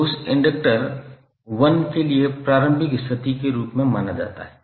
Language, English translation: Hindi, So that is considered to be as the initial condition for that inductor 1